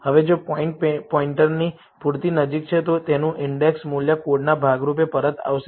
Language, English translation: Gujarati, Now, if the point is close enough to the pointer, its index will be returned as a part of the value code